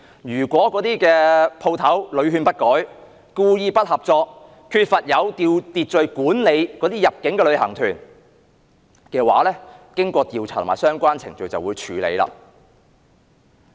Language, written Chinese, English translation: Cantonese, 如果有關店鋪屢勸不改，故意不合作，缺乏有秩序管理入境旅行團，經過調查及相關程序，當局便會處理。, If the shops made no amends after repeated advice deliberately refused to cooperate and failed to manage inbound tours in an orderly manner the authorities would take actions after investigation and completion of the relevant procedures